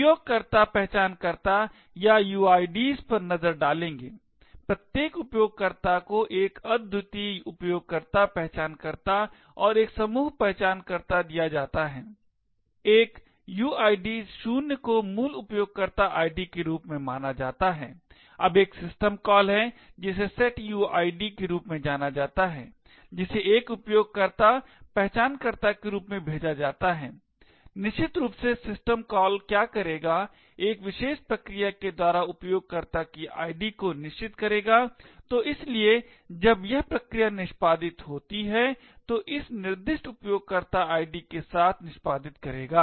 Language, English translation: Hindi, Will the look at the user identifiers or uids, each user is given a unique user identifier and a group identifier, a uid of 0 is considered as the roots user id, now there is a system call known as the setuid which is passed as a user identifier is essentially what the system call would do is to set the user id of a particular process, so therefore when this process executes it will execute with the specified user id